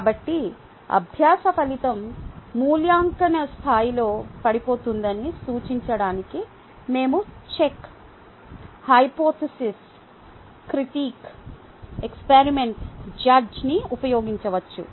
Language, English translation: Telugu, so we can use word check, hypothesis, critic, experiment, judge to represent that the learning outcome is falling in the evaluation level